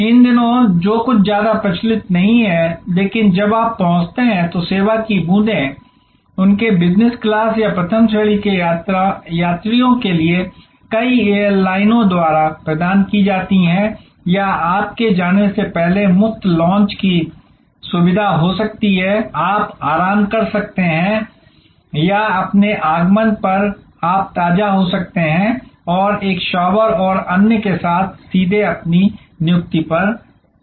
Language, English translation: Hindi, These days that is not very much prevalent, but drop of service when you arrive are provided by many airlines for their business class or first class travelers or there could be free launch facility before your departure, you can relax or on your arrival you can fresh enough and take a shower and so on, and go straight to your appointment